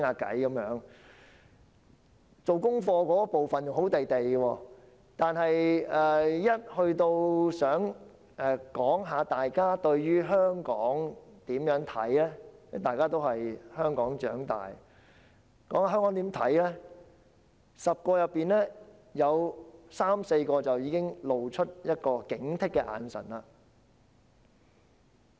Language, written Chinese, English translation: Cantonese, 大家在做功課時還好，但每當談到對於香港的看法時，這些在香港長大的學生，在10人當中便有三四個露出一種警惕的眼神。, We got along well when we focused on the homework but when we talked about their views on Hong Kong 3 or 4 out of 10 students who grow up in Hong Kong had a sense of vigilance in their eyes